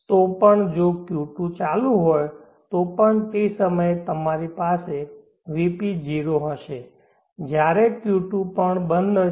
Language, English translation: Gujarati, So even if Q2 is on we will have VP is 0 during that time when the Q2 is off also